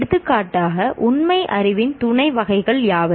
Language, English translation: Tamil, For example, what are the subtypes of factual knowledge